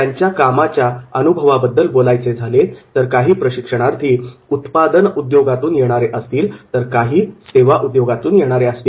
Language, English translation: Marathi, And the nature of experience, some of them might be coming from manufacturing industries, some of them might be coming from service industries